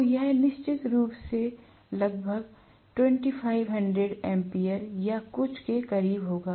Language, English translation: Hindi, So this will be definitely close to some 2500 ampere or something